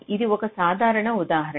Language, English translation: Telugu, just take an example